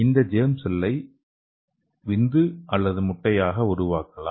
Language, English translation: Tamil, So which can be developed into a sperm or an egg